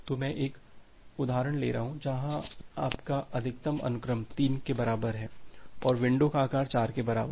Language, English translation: Hindi, So, here is an example here I am taking an example, where your max sequence is equal to 3 and window size is equal to 4